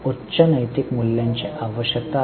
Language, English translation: Marathi, There is a need for high moral values